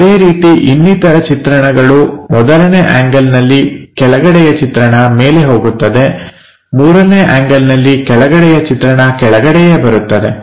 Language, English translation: Kannada, Similarly, the other views, 1st angle the bottom view goes at top; in 3 rd angle the bottom view comes at bottom